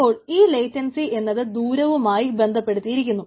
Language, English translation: Malayalam, so latency is correlated strongly with the distance right